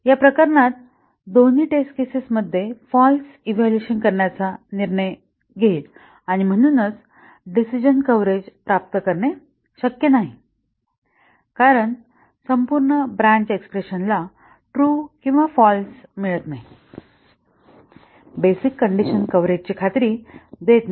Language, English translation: Marathi, In this case, both the test cases will make the decision to evaluate to false and therefore, decision coverage will not be achieved because the complete branch expression is not getting true and false value, the basic condition coverage does not ensure decision coverage